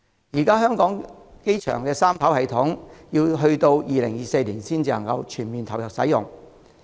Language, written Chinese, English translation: Cantonese, 現時香港國際機場的三跑道系統須至2024年才全面投入服務。, Now the Three Runway System of the Hong Kong International Airport will not come into full service until 2024